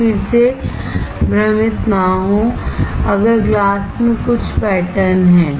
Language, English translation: Hindi, So, again do not get confused if there is some pattern in the glass